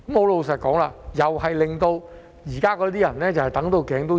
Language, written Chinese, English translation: Cantonese, 老實說，這樣又會令現時那些居民"等到頸都長"。, To be honest in this way the existing residents still have to wait frustratingly long